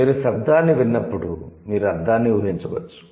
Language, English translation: Telugu, So, when you hear the sound, you can infer the meaning